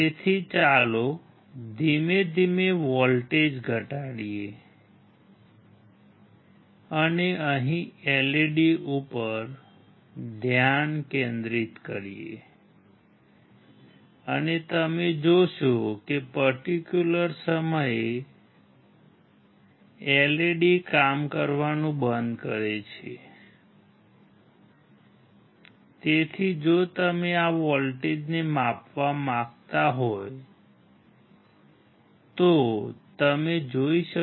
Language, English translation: Gujarati, So, let us slowly decrease the voltage and focus here on the LED and you will see that at certain point, LED stops working